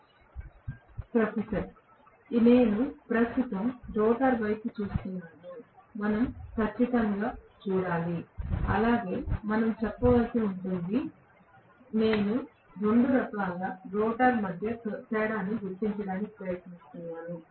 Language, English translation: Telugu, (76:19) Professor: I am currently looking at the rotor, we will definitely have to look at that as well we will have to say I1 square R1, I am trying to differentiate between the 2 types of rotor